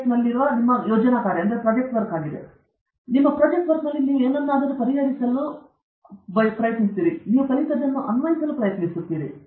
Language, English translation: Kannada, Tech is your project work, where you try to apply what all you learnt, to solve something